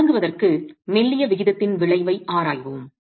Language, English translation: Tamil, So let's examine the effect of slendinous ratio to begin with